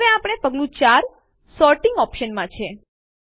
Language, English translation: Gujarati, Now we are in Step 4 Sorting Options